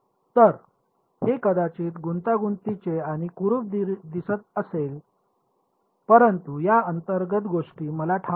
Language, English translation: Marathi, So, it may be looking complicated and ugly, but ever thing inside this is known to me